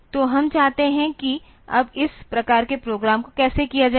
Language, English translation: Hindi, So, we want to do that now how to do this type of program